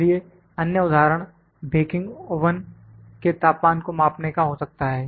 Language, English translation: Hindi, So, then other example may be the temperature of a may be the baking oven